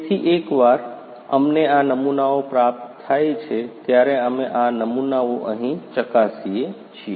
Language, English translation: Gujarati, So, once we receive these samples, we are checking these samples over here